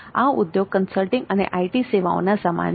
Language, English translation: Gujarati, This industry is similar to consulting and IT services industry